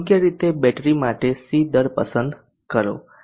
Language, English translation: Gujarati, Next let us select the C rate for the battery